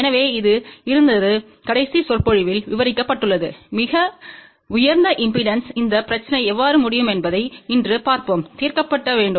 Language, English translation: Tamil, So, this was covered in the last lecture so, today let us see how this problem of very high impedance can be solved